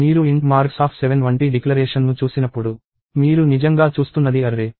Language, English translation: Telugu, So, when you see a declaration like int marks of 7, what you are really seeing is an array